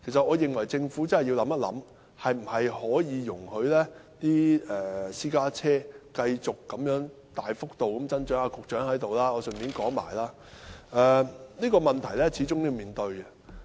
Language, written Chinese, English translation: Cantonese, 我認為政府要認真想一想，應否容許私家車繼續大幅增長——現在局長在席，我趁此機會提出——這個問題始終要面對。, I think the Government should seriously ponder whether it should allow private cars to continue to increase in large numbers―the Secretary is present now . I am taking this opportunity to bring it up―After all this question has to be addressed